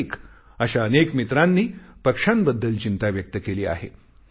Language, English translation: Marathi, Kartik and many such friends have expressed their concern about birds during the summer